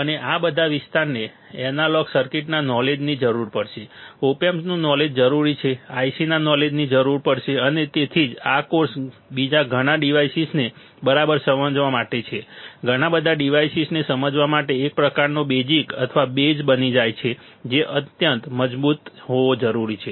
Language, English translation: Gujarati, And all this area more or less will require the knowledge of analog circuits, will require the knowledge of op amps, will require the knowledge of ICs and that is why this course becomes kind of basic or the base that needs to be extremely strong to understand further several devices, to understand several other devices all right